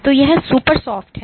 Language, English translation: Hindi, So, this is super soft